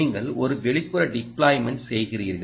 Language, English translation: Tamil, you are doing an outdoor deployment